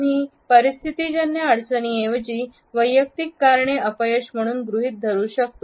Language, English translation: Marathi, We can assume personal failures as reasons instead of situational difficulties